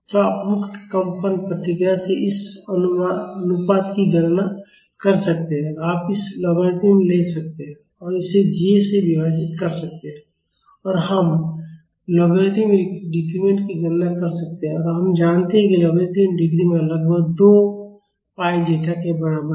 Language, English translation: Hindi, So, you can calculate this ratio from the free vibration response and you can take the logarithm of this and divide it by j and we can calculate the logarithmic decrement and we know that the logarithmic decrement is approximately equal to 2 pi zeta